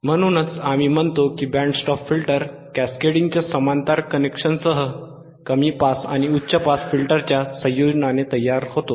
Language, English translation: Marathi, So, the band stop filter is formed by combination of low pass and high pass filter